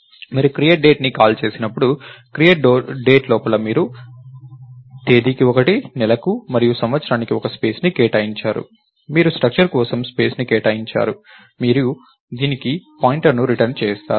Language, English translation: Telugu, And when you call create date, so inside create date you allocated space one for date, one for month and one for year, you allocated space for the structure, you return the pointer to this